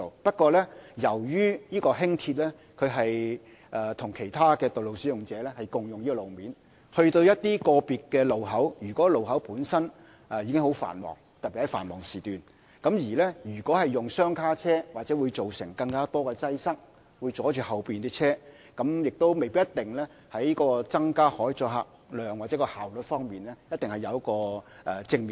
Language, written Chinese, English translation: Cantonese, 但是，由於輕鐵與其他道路使用者共用路面，在某些個別路口上，如果該路口本身的交通已經相當繁忙，特別是在繁忙時段，使用雙卡車輛也許會造成更多擠塞，例如阻礙後方的車輛，在增加可載客量或提升效率方面未必可以產生正面作用。, However given that LR shares the roads with other road users at certain junctions where traffic is rather heavy especially during peak hours coupled - set vehicles may cause greater congestion such as in blocking vehicles behind them while failing to produce positive effects on increasing carrying capacity or enhancing effectiveness